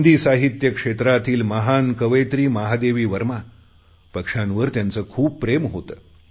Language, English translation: Marathi, The great Hindi poetess Mahadevi Verma used to love birds